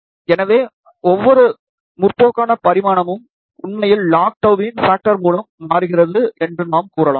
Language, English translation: Tamil, So, we can say that every progressive dimension is actually changing by a factor of log tau